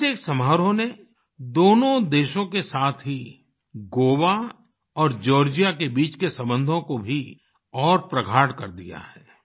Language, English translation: Hindi, This single ceremony has not only strengthened the relations between the two nations but as well as between Goa and Georgia